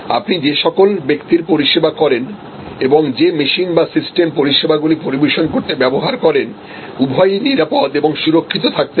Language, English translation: Bengali, So, for both the people you serve and the machines or systems that you use to serve must be safe and secure